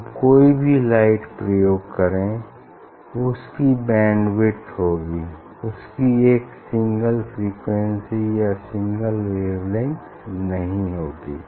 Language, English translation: Hindi, whatever light we will use, it will have bandwidth it is not single frequency single wavelength as well as whatever light will emit to wave front